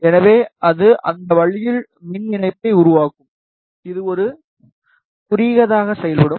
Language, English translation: Tamil, So, it will make a electrical connection in that way, it will act like a short